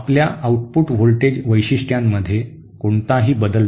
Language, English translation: Marathi, There is no change in my output voltage characteristics